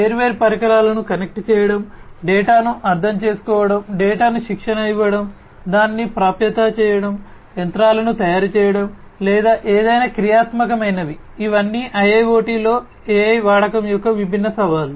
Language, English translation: Telugu, Connecting different devices, understanding the data, training the data, making it accessible, making the machines or whatever actionable these are all different challenges of use of AI in IIoT